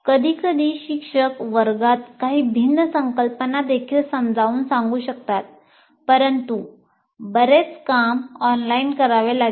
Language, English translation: Marathi, But sometimes the teacher may also explain some different concepts in the classroom but lot of work will have to be done online